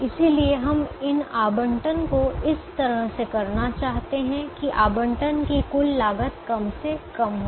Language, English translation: Hindi, so we want to make these allocations in such a way that the total cost of allocation is minimized